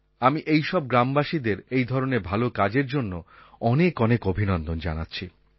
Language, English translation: Bengali, I extend my hearty felicitations to such villagers for their fine work